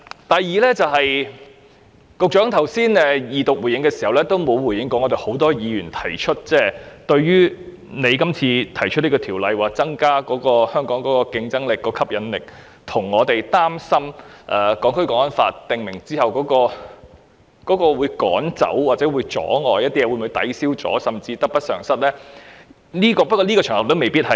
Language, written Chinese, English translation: Cantonese, 第二，局長剛才在二讀答辯時沒有回應很多議員提出的疑問：《條例草案》旨在增加香港的競爭力和吸引力，而很多議員則擔心《港區國安法》實施後，當局會否驅趕或阻礙投資者，導致得失相抵，甚至得不償失？, Secondly the Secretary failed to answer one question raised by a number of Members while he was responding during the Second Reading just now . Given that the Bill seeks to enhance Hong Kongs competitiveness and attraction many Members are concerned about whether the authorities will expel or reject investors after the Law of the Peoples Republic of China on Safeguarding National Security in the Hong Kong Special Administrative Region comes into force . Will the benefits be offset by the losses or will the losses even outweigh the benefits?